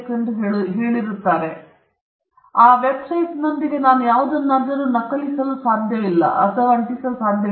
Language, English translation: Kannada, But the point with the website is I need not copy or paste anything